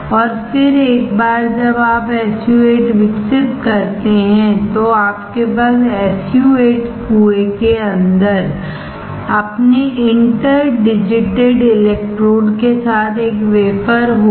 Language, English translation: Hindi, And then once you develop the SU 8 you will have a wafer with your interdigitated electrodes inside the SU 8 well